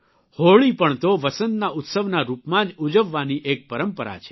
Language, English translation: Gujarati, Holi too is a tradition to celebrate Basant, spring as a festival